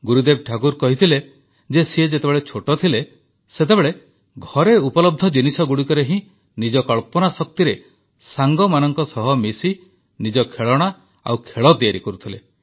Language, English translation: Odia, Gurudev Tagore had said that during his childhood, he used to make his own toys and games with his friends, with materials available at home, using his own imagination